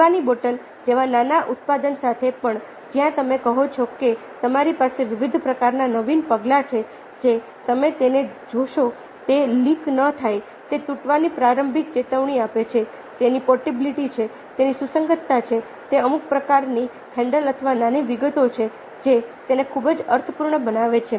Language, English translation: Gujarati, in developing a product, the details of innovation, even with a small product like, ah, a drinking ah bottle, where you say that you have various kinds of innovative measures which you will see to it that it doesnt leak, it gives a early warning of breakage, ah, it has portability, it has compatibility, it has some kind of handle or small details which make it very, very meaningful